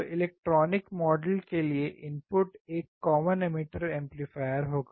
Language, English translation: Hindi, , input would be common emitter amplifier